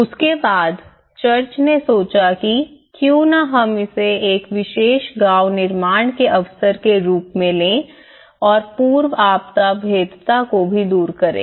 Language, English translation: Hindi, So, after that, the church have realized that why not we take this as an opportunity to build a more special village and to also address the pre disaster vulnerabilities